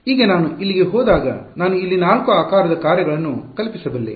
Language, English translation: Kannada, Now when I go over here this I can you conceivably have four shape functions over here